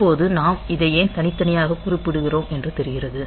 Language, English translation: Tamil, Now apparently it seems that why do we mention this A separately